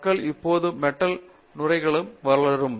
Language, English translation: Tamil, People are now developing what are called Metal foams